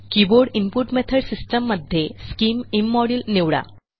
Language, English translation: Marathi, In the Keyboard input method system, select scim immodule